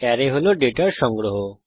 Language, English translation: Bengali, Arrays are a collection of data